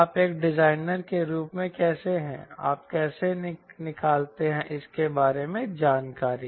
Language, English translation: Hindi, how do you, as a designer, how do you extract information out of it